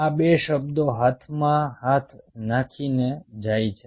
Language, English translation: Gujarati, these two words go hand in hand